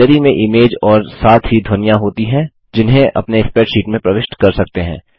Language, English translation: Hindi, Gallery has image as well as sounds which you can insert into your spreadsheet